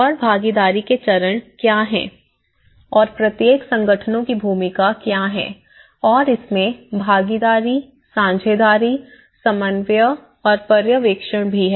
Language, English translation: Hindi, And what are the stages of the participation and what are the roles of each organizations and there is a participation, partnership and also the coordination and the supervision of it